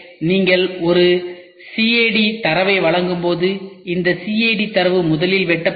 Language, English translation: Tamil, So, when you give you a CAD data, this CAD data is first sliced